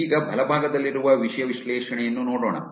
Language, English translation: Kannada, Now, lets look at the content analysis on the right